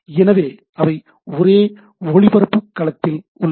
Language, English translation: Tamil, So, they are in the same broadcast domain